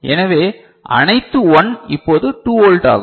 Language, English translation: Tamil, So, all 1 is now 2 volt